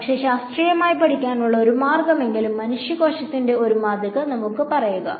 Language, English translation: Malayalam, But at least one way to scientifically study it, is to build a, let us say, a model of human tissue